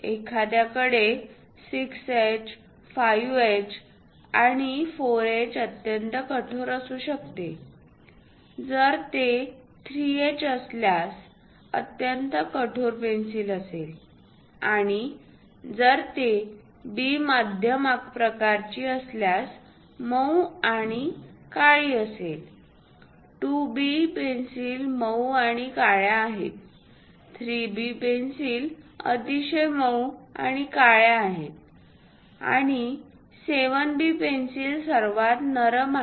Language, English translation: Marathi, For example, a 9H is very hardest kind of graphite one will having 6H, 5H and 4H extremely hard; if it is 3H very hard pencil and if it is H moderately hard, if it is a B type moderately soft and black, 2B pencils are soft and black, 3B pencils are very soft and black and 7B pencils softest of all